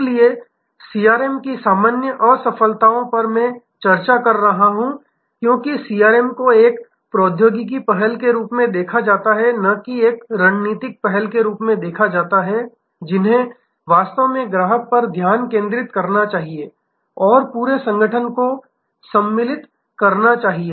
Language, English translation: Hindi, So, common failures of CRM has I have been discussing is often, because CRM is viewed as a technology initiative and not as a strategic initiative that actually must have a focus on the customer and must embrace the entire organization